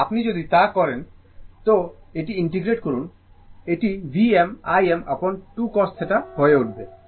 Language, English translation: Bengali, If you do, so the integrate it, it will become v m I m upon 2 cos theta